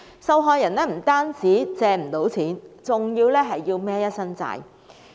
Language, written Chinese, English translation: Cantonese, 受害人不單無法借到錢，還要背負一身債項。, Not only would the victims fail to get any money they would also be overburdened with debts